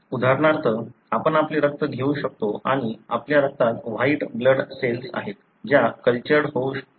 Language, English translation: Marathi, For example, you can take your blood and you have white blood cells in your blood, which can be cultured